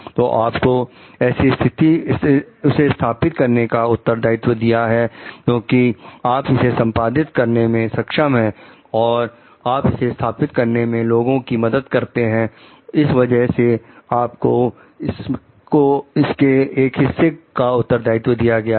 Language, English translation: Hindi, So, you have been given the responsibility to install because, you are competent to do it and you have been helping people to install that is why, you have been given a part of that responsibility